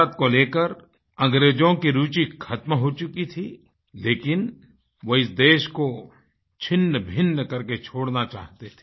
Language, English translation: Hindi, The English had lost interest in India; they wanted to leave India fragmented into pieces